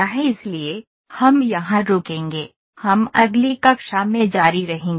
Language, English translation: Hindi, So, we would stop here we will continue in the next class